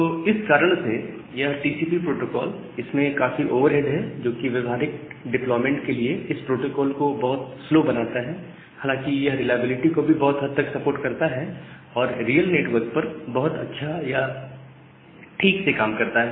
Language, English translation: Hindi, So, because of this protocol the TCP, it has this significant amount of overhead which makes the protocol very slow for practical deployment although it supports a good amount of reliability and works perfectly or works correctly over a real network